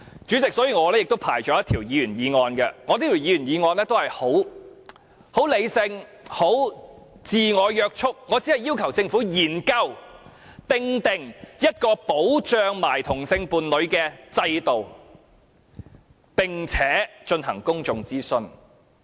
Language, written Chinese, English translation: Cantonese, 主席，所以我亦提交了一項議員議案，內容相當理性及自我約束，我只要求政府研究訂定一個保障同性伴侶的制度，並且進行公眾諮詢。, President as a result I have submitted a Members motion . Its content is very sensible and self - restrained . I only ask the Government to explore the formulation of a system for protecting same - sex partners and to conduct some public consultation